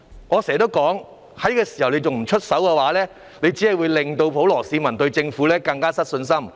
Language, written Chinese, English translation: Cantonese, 我經常說，政府在這時候還不出手，只會令普羅市民對政府更失信心。, I often say that if the Government refuses to take any actions now the public will lose trust in the Government even more